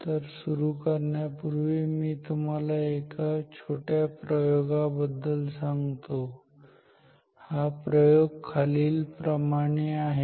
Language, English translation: Marathi, So, before we start let me tell you about a small experiment; the experiment is as follows